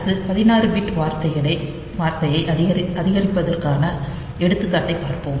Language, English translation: Tamil, So, next we look into an example of incrementing a 16 bit word